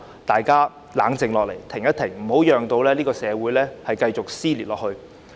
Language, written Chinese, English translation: Cantonese, 大家應冷靜下來，停一停，別讓社會繼續撕裂。, We should calm down and pause for a moment to prevent further social dissension